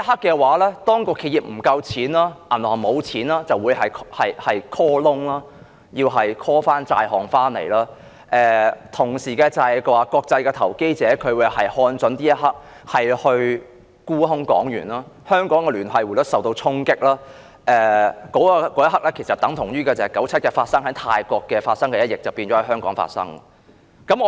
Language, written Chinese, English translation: Cantonese, 屆時，當企業資金不足，銀行沒有錢便會進行 call loan， 收回所有債項，同時國際投資者亦會看準時機沽空港元，香港聯繫匯率將會受到衝擊，這一刻，於1997年泰國發生的一役便將會在香港發生。, At that time when the enterprises do not have enough capital the banks being short of cash will make call loans or recover all the debts . At the same time international investors will also take this opportunity to short - sell the Hong Kong dollar and Hong Kongs linked exchange rate will be subject to impact . At that moment what happened in Thailand in 1997 will repeat itself in Hong Kong